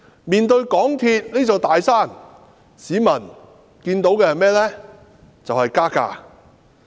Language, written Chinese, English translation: Cantonese, 面對港鐵公司這座"大山"，市民看到的就是加價。, Facing this big mountain of MTRCL members of the public can only think of fare increases